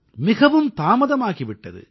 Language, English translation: Tamil, It is already late